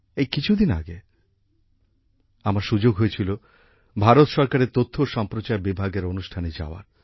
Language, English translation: Bengali, Just a few days ago, I got an opportunity to attend a program of Ministry of Information and Broadcasting, Government of India